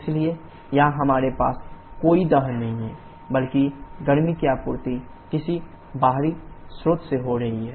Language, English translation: Hindi, So here we do not have any combustion rather heat is getting supplied from some external source